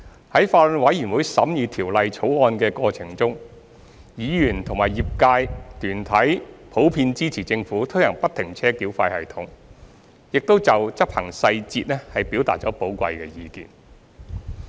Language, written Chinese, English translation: Cantonese, 在法案委員會審議《條例草案》的過程中，議員及業界團體普遍支持政府推行不停車繳費系統，亦就執行細節表達了寶貴的意見。, During the scrutiny of the Bill by the Bills Committee Members and organizations in the relevant trades generally supported the implementation of FFTS by the Government and expressed valuable views on the implementation details